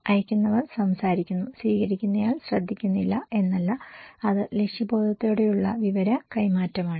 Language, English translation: Malayalam, It’s not that senders is talking and receiver is not listening it is a purposeful exchange of information